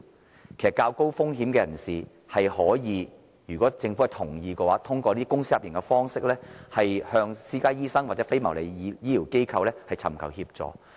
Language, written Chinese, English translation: Cantonese, 其實，對於較高風險的人士，如果政府同意的話，他們可以通過公私營協作的方式，向私家醫生或非牟利醫療機構尋求協助。, Actually people with a higher risk may if consent is given by the Government seek assistance from private doctors or non - profit - making healthcare institutions through an PPP programme